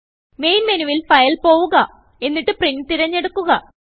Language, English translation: Malayalam, From the Main menu, go to File, and then select Print